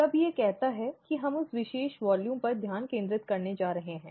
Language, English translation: Hindi, All it says is that we are going to concentrate on that particular volume